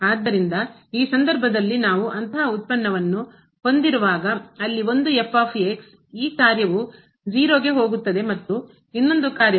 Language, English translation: Kannada, So, in this case when we have such a product where one this function goes to 0 and the other one goes to infinity